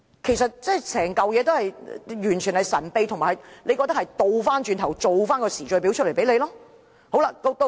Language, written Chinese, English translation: Cantonese, 其實，整件事情完全神秘進行，亦令人覺得政府後來才做出時序表給大家。, In fact the whole incident was conducted in secret and people have the impression that the Government made up a chronology of events afterwards